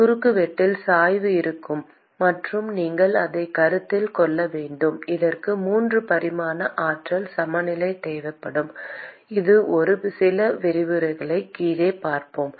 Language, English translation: Tamil, There will be gradients in the cross section; and you will have to consider that; and that would require 3 dimensional energy balance which we will see a few lectures down the line